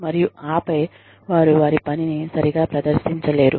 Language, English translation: Telugu, And then, they are not able to perform